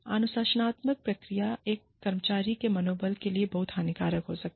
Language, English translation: Hindi, Disciplining procedures, can be very detrimental to an employee